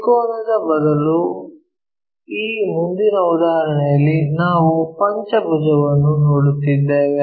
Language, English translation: Kannada, In this next example instead of a triangle we are looking at a pentagon